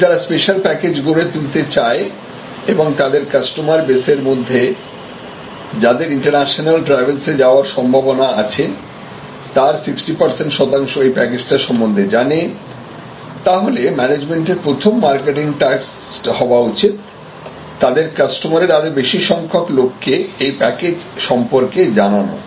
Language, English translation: Bengali, Now, if the create this special package and only 60 percent of their current customer base, who are prone to international travel are aware then; obviously, they are first marketing task first management task is to make more people from their customer base aware about aware of this new offering